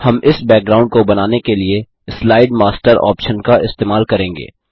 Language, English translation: Hindi, We shall use the Slide Master option to create this background